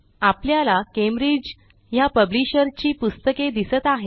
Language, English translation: Marathi, and we see only those books for which the publisher is Cambridge